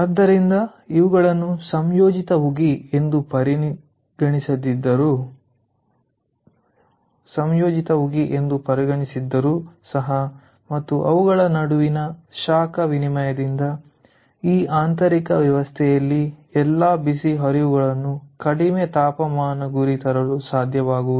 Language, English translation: Kannada, so even if we considered these to comp composite steam and ah heat exchange between them, we will not be able to bring all the hot streams to their target low temperature by in this internal arrangement